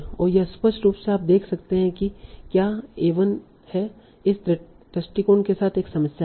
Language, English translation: Hindi, And clearly you is a one there is one problem with this approach